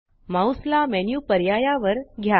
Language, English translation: Marathi, Move your mouse on the menu options